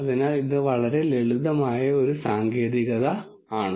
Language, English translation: Malayalam, So, this is a very very simple technique